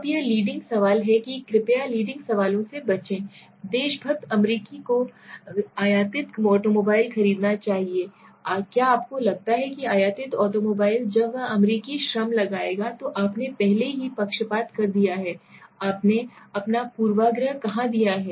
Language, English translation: Hindi, Now this is the leading question please avoid leading questions, what is seeing patriotic American should buy imported automobiles do you think patriotic American should buy imported automobiles when that would put American labor already you have given bias, already you have given your bias here